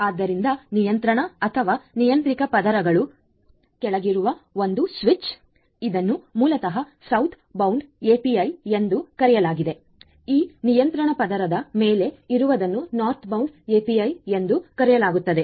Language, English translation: Kannada, So, the one switcher below these layers which are below the control the controller or the control layer this basically is known as the Southbound API, once which are above are known as the Northbound API